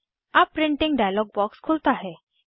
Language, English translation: Hindi, Now, the Printing dialog box appears